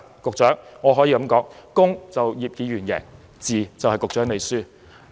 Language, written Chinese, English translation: Cantonese, 局長，我可以說，"公"是葉議員贏，"字"便是局長輸。, Secretary I can only say that in this coin - flipping game if the head is out Mr IP wins; and if the tail is out you lose